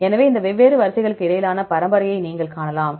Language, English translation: Tamil, So, you can see the lineage between among these different sequences